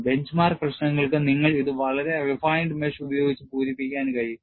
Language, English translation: Malayalam, Because, for bench mark problems, you can really fill it, with very refined mesh